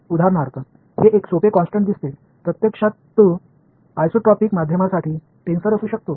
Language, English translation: Marathi, For example, this seems to be a simple constant; actually it could be a tensor for an isotropic media